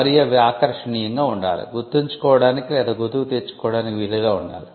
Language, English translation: Telugu, And it should be appealing and easy to remember or recollect